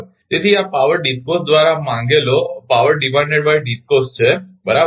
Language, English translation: Gujarati, So, this is the power demand that by the DISCOs right